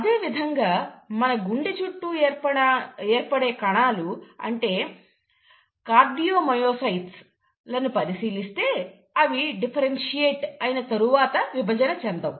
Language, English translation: Telugu, Similarly, if you look at the cells which form the walls of our heart, the cardiomyocytes, they do not divide after they have differentiated